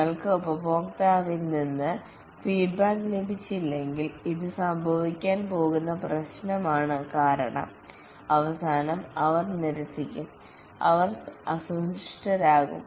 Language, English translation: Malayalam, If you don't get feedback from the customer, this is trouble going to happen because at the end they will reject, they will be unhappy